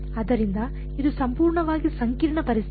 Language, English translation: Kannada, So, it is fully complicated situation